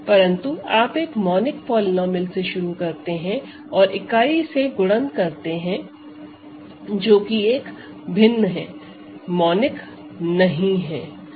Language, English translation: Hindi, That means a field element, but it will you start with a monic polynomial and multiplied by a unit which is different from one it will no longer be monic